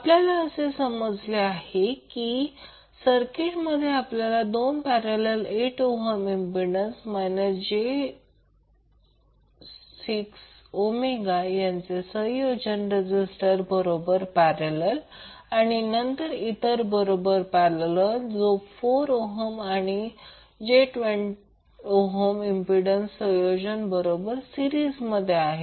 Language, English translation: Marathi, We will come to know that this circuit will now contains two parallel combinations of 8 ohm resistance in parallel with minus J 6 ohm impedance and then in series with the another parallel combination of 4 ohm and j 12 ohm impedance